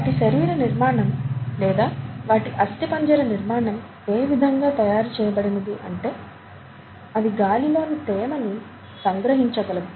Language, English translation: Telugu, Their body structure or their, the structure of a part of the skeleton is designed such that to, in such a way to capture the moisture from the air